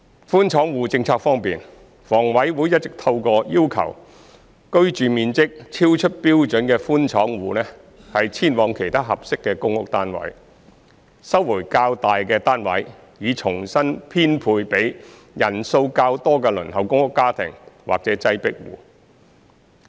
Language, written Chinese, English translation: Cantonese, 寬敞戶政策方面，房委會一直透過要求居住面積超出標準的寬敞戶遷往其他合適的公屋單位，收回較大的單位，以重新編配予人數較多的輪候公屋家庭或擠迫戶。, As regards the under - occupation policy HA has been recovering larger flats for re - allocation to larger families on the PRH waiting list or overcrowded households by requiring under - occupation households with excessive living space to move to another PRH unit of a more appropriate size